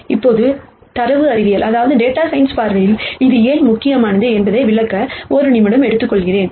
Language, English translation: Tamil, Now, let me take a minute to explain why this is important from a data science viewpoint